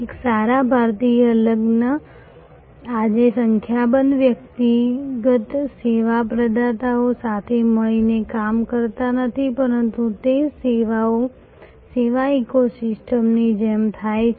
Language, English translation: Gujarati, A good Indian wedding today not does not happen as a number of individual service providers working together, but it happens more like a service ecosystem